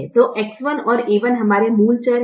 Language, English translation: Hindi, so x one and a one are our basic variables